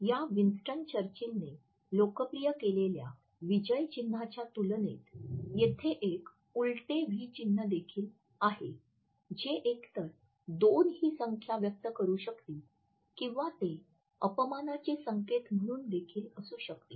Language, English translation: Marathi, In comparison to this victory sign which is been popularized by Winston Churchill, there is an inverted v sign also which may either convey two in number or it can also be constituted as a gesture of insult